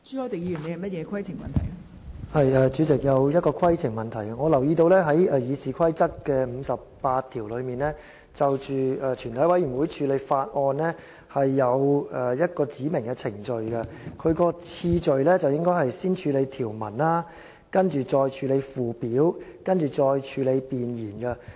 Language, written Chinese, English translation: Cantonese, 代理主席，我想提出規程問題，因為我留意到《議事規則》第58條就全體委員會處理法案訂明程序，當中的次序應該是先處理條文，然後處理附表，接着是處理弁言。, Deputy Chairman I wish to raise a point of order because I notice that Rule 58 of the Rules of Procedure RoP provides for the procedure in committee of the Whole Council on a Bill and the order set out therein is to deal with the clauses first then the schedules and then the preamble